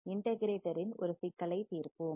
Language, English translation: Tamil, Let us solve a problem for the integrator